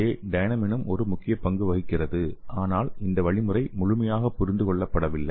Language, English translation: Tamil, And here dynamin also play important role, but the mechanisms is not completely understood